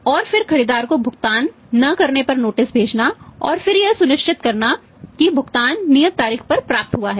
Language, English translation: Hindi, And then say sending the notices when the payment is due if it is not paid by the buyer and then making sure that yes on the payment is received on the due date